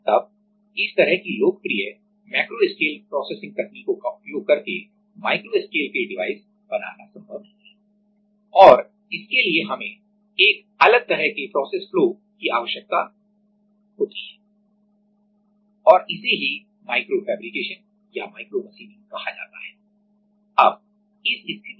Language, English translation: Hindi, Then using our popular macro scale processing techniques it is not possible to make this kind of devices and for that we need to use a separate kind of process flow and that is called microfabrication or micro machining